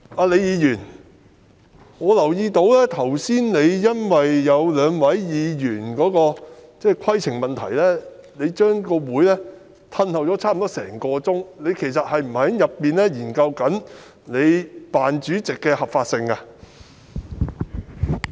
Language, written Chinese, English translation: Cantonese, 李議員，我留意到，你剛才因為有兩位議員提出規程問題，便將會議延後差不多一個小時，其實你是否在裏面研究你扮主席的合法性？, Ms LEE I have noticed that you suspended the meeting by almost an hour because two Members had raised points of order earlier . Actually were you inside to study the legitimacy of your position as the phoney Chair?